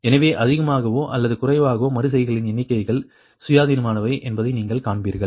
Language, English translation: Tamil, so you will find number of iterations more or less are independent, right